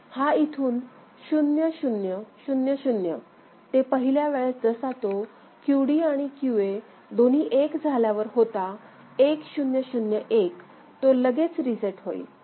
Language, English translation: Marathi, So, it will go from 0 0 0 0 to first time whenever it goes to both of them QD and QA become 1 that is 1 0 0 1, immediately it gets reset